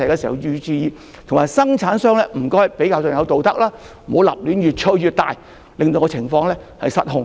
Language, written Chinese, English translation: Cantonese, 同時，生產商也要符合道德，不要過於吹捧產品，令情況失控。, At the same time manufacturers should also abide by ethics and refrain from overhyping their products to such an extent that the situation gets out of hand